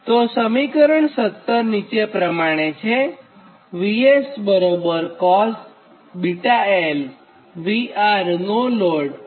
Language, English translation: Gujarati, this is equation seventy seven